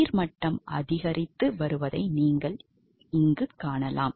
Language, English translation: Tamil, You can see that the water level is increasing right